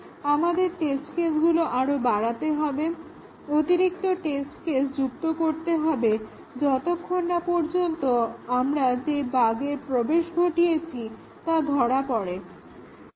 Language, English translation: Bengali, We need to augment our test cases, add additional test cases until the bug that we introduced gets caught